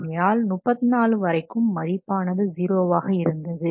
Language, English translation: Tamil, So up to 34, no value is given, 0